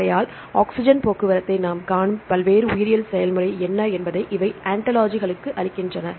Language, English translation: Tamil, So, now they give the ontologies what are the various biological process we see oxygen transports